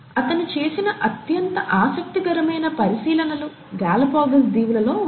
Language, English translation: Telugu, And, the most interesting observations that he made were in the Galapagos Islands